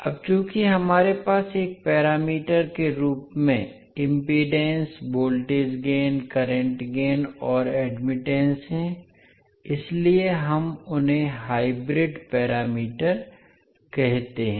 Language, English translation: Hindi, So now, since we have impedance, voltage gain, current gain and admittance as a parameter